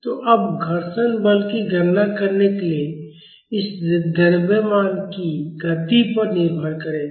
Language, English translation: Hindi, So, now, to calculate the frictional force, it will depend upon the movement of this mass